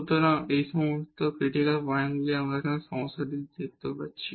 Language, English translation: Bengali, So, all these are the critical points which we can see here in this problem